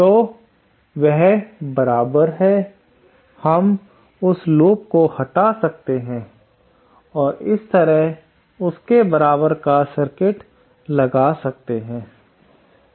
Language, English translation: Hindi, Then that is equivalent, we can remove that loop and have an equivalent circuit like this